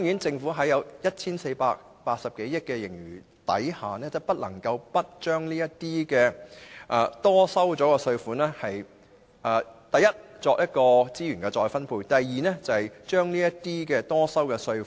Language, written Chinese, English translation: Cantonese, 政府坐擁 1,480 多億元的盈餘，不能不把多收的稅款用作：第一，資源再分配；第二，退給納稅人。, Sitting on a surplus of some 148 billion the Government should use the excessive taxes collected for the purposes of first reallocating resources; second reimbursing taxpayers